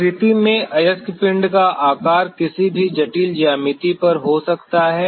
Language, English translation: Hindi, In nature the shape of the ore body could be at an any complicated geometry